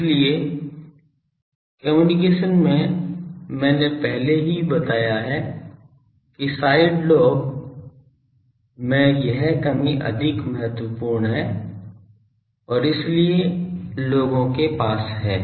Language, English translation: Hindi, So, in communication I already pointed out that the this side lobe reduction is more important and so, people have